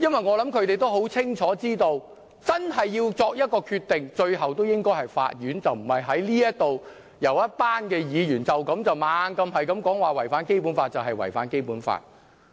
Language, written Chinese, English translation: Cantonese, 我想它很清楚知道，最終真的應該由法院作一個決定，而不是由一群立法會議員不停說"一地兩檢"的方案違反《基本法》，就是真的違反《基本法》。, I think the Bar Association is clearly aware that a decision should really be made by the court at the end . The repeated chanting by a group of Legislative Council Members that the co - location arrangement is in contravention of the Basic Law will not really make it a contravention of the Basic Law